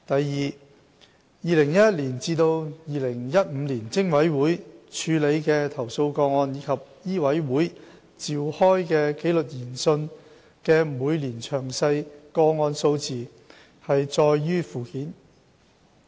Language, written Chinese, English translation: Cantonese, 二2011年至2015年，偵委會處理的投訴個案及醫委會召開的紀律研訊的每年詳細個案數字載於附件。, 2 In 2011 to 2015 the number of complaint cases handled by PIC and the number of inquiries conducted by MCHK in each of the past five years are detailed at Annex